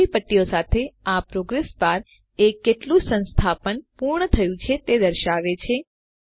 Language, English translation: Gujarati, This progress bar with the green strips shows how much of the installation is completed